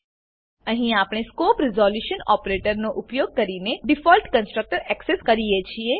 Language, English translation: Gujarati, Here we access the default constructor using the scope resolution operator